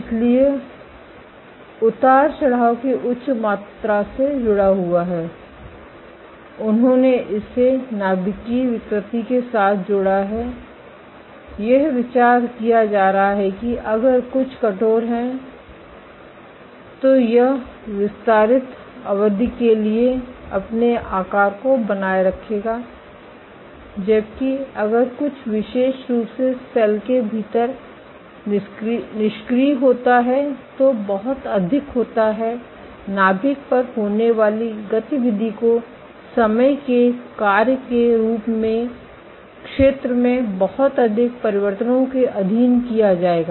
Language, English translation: Hindi, So, the higher amount of fluctuation is linked they linked it with nuclear deformability, the idea being if something is rigid then it will retain its shape for extended periods of time while if something is floppy particularly within the cell there is always, so much of activity going on the nucleus will be subjected to lot more changes in area as a function of time